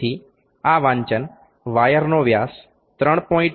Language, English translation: Gujarati, So, this reading this diameter of the wire is 3